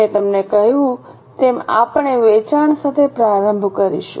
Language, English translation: Gujarati, As I told you, we will be starting with the sales